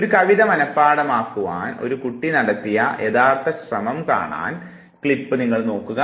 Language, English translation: Malayalam, Look at the clip to see an actual attempt by a child to memorize a poem